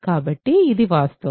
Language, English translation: Telugu, So, this is the fact